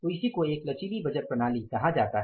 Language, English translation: Hindi, So that is called as a flexible budgeting system